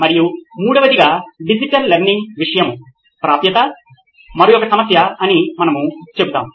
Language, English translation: Telugu, And thirdly, we would say another problem is the access to digital learning content itself